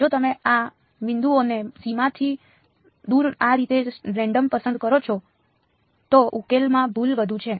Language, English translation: Gujarati, If you pick these points at random like this away from the boundary the error in the solution is high